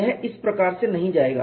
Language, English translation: Hindi, It will not go like this